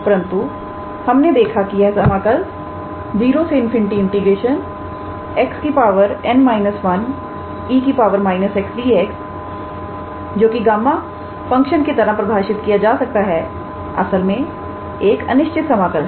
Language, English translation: Hindi, But we see that the integral 0 to infinity x to the power n minus one e to the power minus x d x which is defined as gamma function is also an improper integral